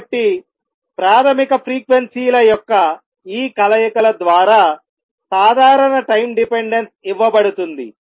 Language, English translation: Telugu, So, general time dependence will be given by all these combinations of the basic frequencies